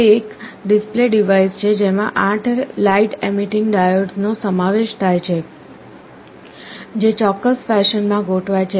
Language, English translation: Gujarati, It is a display device that consists of 8 light emitting diodes, which are arranged in a particular fashion